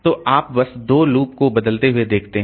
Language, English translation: Hindi, So, you see, just changing the loops